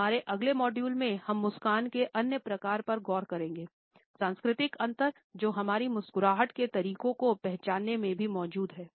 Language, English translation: Hindi, In our next module we would look at certain other types of a smiles, the cultural differences which also exist in the way our smiles are recognised